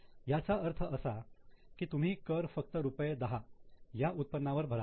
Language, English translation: Marathi, That means you will pay tax only on the income of 10